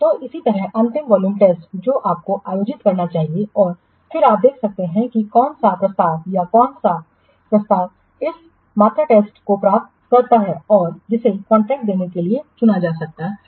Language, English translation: Hindi, So, similarly at last a volume test you should conduct and then you can what see which proposal or which yes, which proposal passes this volume test and that may be selected for awarding the contract